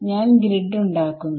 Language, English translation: Malayalam, So, I make a grid